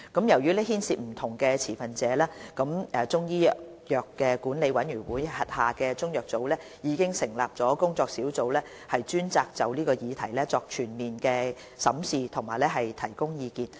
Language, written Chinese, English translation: Cantonese, 由於牽涉不同持份者，中醫藥管理委員會轄下中藥組已成立工作小組專責就此議題作全面審視並提供意見。, Since various stakeholders are involved the Chinese Medicines Board CMB set up under the Chinese Medicine Council of Hong Kong has already formed a working group to specifically conduct a comprehensive review of this issue and offer advice